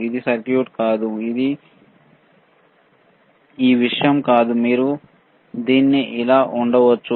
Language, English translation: Telugu, This is not a circuit; this is not this thing, that you can place it like this, right